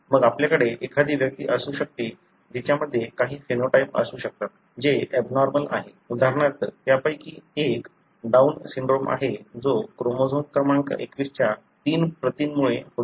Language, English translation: Marathi, Then you may have an individual who may have some phenotype, which is abnormal; example, one of them being Down syndrome which is resulting from three copies of chromosome number 21